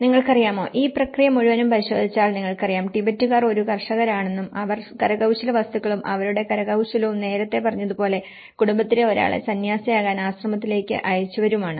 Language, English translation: Malayalam, And you know, if you look at this whole process and then you know, Tibetans as a farmers and they are also the handicrafts, their craftsmanship and earlier, as I said to you one member of the family sent to the monastery to become a monk